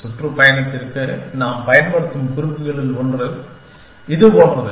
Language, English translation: Tamil, And one of the notations that we will use for tour is, something like this